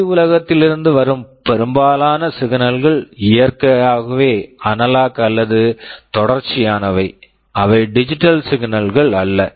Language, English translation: Tamil, Most of the signals that are coming from the outside world they are continuous or analog in nature, they are not digital